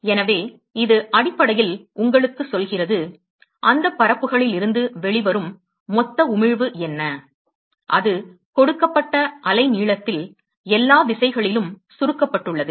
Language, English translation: Tamil, So, this basically tells you, what is the total emission, that comes out of that surfaces, summed over all directions, at a given wavelength